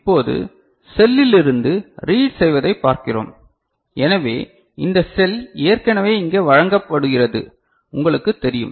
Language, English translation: Tamil, Now, we look at reading from the cell so, this cell is already you know presented here